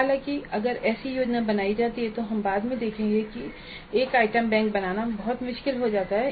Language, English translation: Hindi, However, if such a planning is done, then we'll see later that creating an item bank becomes very difficult